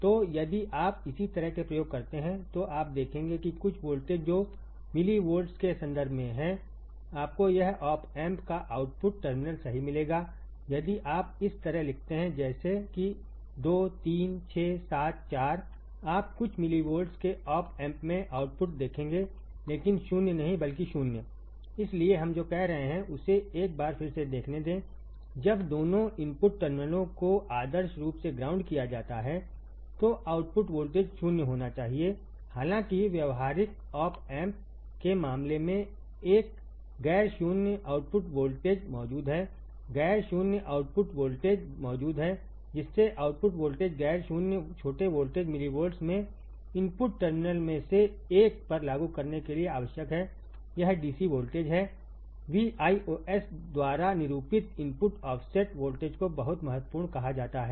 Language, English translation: Hindi, So, if you do the similar experiment what you will see that some voltage which is in terms of millivolts, you will find that output terminal of the op amp right if you write like this 2 3 6, 7, 4, right you will see output at the op amp to be of few millivolts, but not 0, but not 0 So, right what we are saying let us see once again when both the input terminals are grounded ideally the output voltage should be 0; however, in case of practical op amp a non zero output voltage is present non zero output voltage is present to make the output voltage non zero small voltage in millivolts is required to apply to one of the input terminal this DC voltage is called the input offset voltage denoted by V ios very important very important